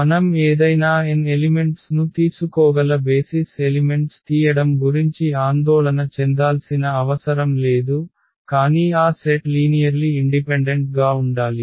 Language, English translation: Telugu, Another beautiful result that we do not have to worry about picking up the elements for the basis we can take any n elements, but that set should be linearly independent